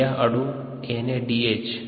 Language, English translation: Hindi, that's called NADH